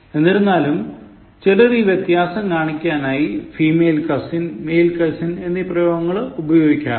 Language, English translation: Malayalam, In fact, some people try to show the discrimination by using this expression: female cousin or male cousin